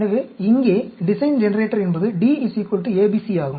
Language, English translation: Tamil, So here, the design generator is D equal to ABC